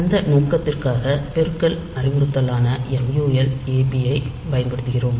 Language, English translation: Tamil, And for that purpose, it will use that multiplication instruction and mul ab